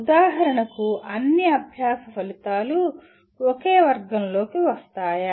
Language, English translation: Telugu, For example will all learning outcomes come under the same category